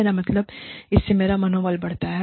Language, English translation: Hindi, I mean, that boost my morale